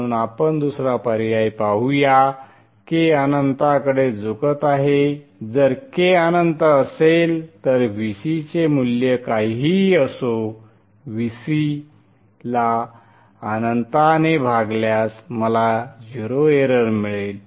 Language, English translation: Marathi, If k is infinity then whatever may be the value of VC, VC divided by infinity will give me zero error